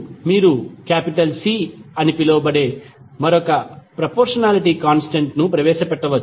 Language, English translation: Telugu, Now, you can introduce another proportionality constant that is called C ok